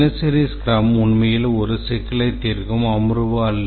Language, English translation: Tamil, The daily scrum is not really a problem solving session as we said